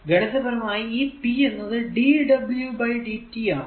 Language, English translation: Malayalam, So, we know that i is equal to dq by dt